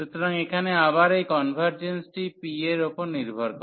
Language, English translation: Bengali, So, here again this convergence of this depends on p